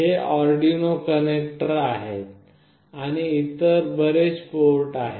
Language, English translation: Marathi, These are the Arduino connectors and there are many other ports